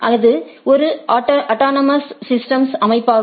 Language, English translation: Tamil, It constitute a autonomous systems autonomous system